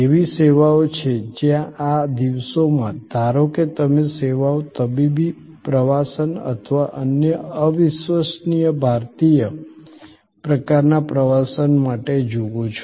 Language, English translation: Gujarati, There are services where these days as suppose to the services you see for medical tourism or other incredible India type of tourism